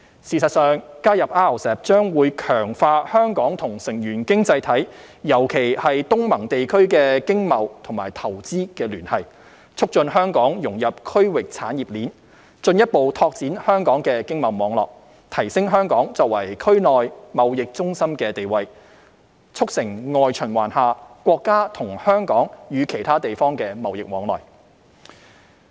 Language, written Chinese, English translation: Cantonese, 事實上，加入 RCEP 將會強化香港與成員經濟體，尤其是東盟地區的經貿與投資聯繫，促進香港融入區域產業鏈，進一步拓展香港的經貿網絡，提升香港作為區內貿易中心的地位，促成外循環下國家及香港與其他地方的貿易往來。, In fact joining RCEP will strengthen the economic trade and economic ties between Hong Kong and RCEP participating economies particularly the ASEAN region . Also this will further expand Hong Kongs economic and trade network enhance Hong Kongs status as a regional trading centre as well as facilitate the trading of the country and Hong Kong with other places under international circulation